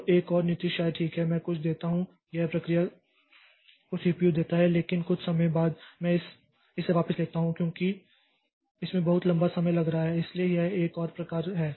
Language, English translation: Hindi, So, another policy may be okay, I give some, I give it give the CPU to the process but after some time I take it back since it is taking too long time